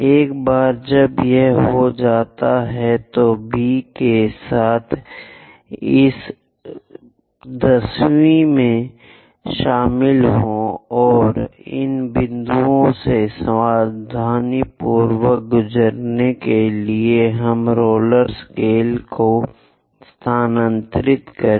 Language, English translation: Hindi, Once it is done, join these 10th one with B and move our roller scale to carefully pass through these points